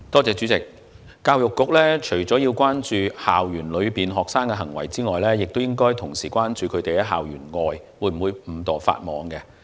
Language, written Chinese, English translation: Cantonese, 主席，教育局除了要關注學生在校內的行為外，還應關注他們會否在校園外誤墮法網。, President in addition to expressing concern for the actions of students in schools the Education Bureau should also express concern on whether the students will contravene the law inadvertently outside campus